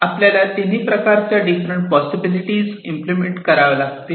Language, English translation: Marathi, So, all the 3 different possibilities are possible to be implemented